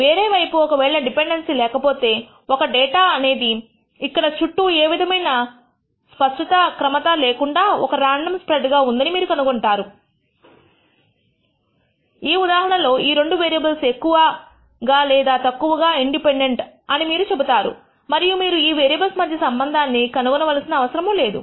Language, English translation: Telugu, On the other hand if there is no dependency you will nd a random spread, this data will be spread all around with no clear pattern, in which case you will say that there are these two variables are more or less independent and you do not have to discover a relationship between these variables